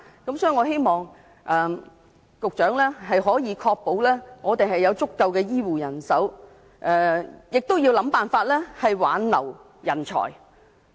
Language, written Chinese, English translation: Cantonese, 所以，我希望局長可以確保香港有足夠的醫護人手，亦要設法挽留人才。, Therefore I hope the Secretary can ensure sufficient health care manpower in Hong Kong and retain talent